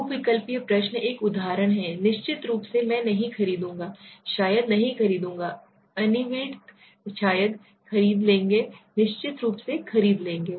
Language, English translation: Hindi, Multiple choices this is an example, right definitely I will not buy, probably will not buy, undecided, probably will buy definitely will buy for example right